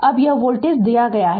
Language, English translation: Hindi, Now, this voltage is given